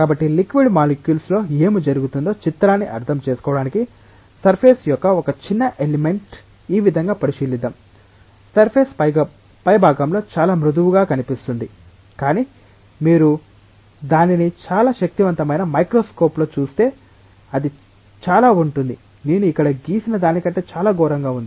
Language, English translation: Telugu, happens in the liquid molecules let us consider a small element of surface like this, the surface may look very very smooth on the top, but if you look it into a very powerful microscope it will be much much worse than what I have drawn here